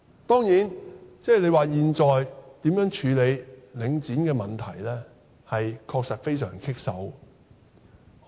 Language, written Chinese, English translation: Cantonese, 當然，現在如何處理領展的問題，的確是令人束手無策的。, Of course now it is a thorny issue indeed to deal with matters related to Link REIT